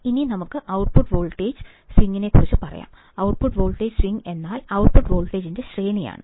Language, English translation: Malayalam, About the output voltage swing, the output voltage swing is the range of output voltage, right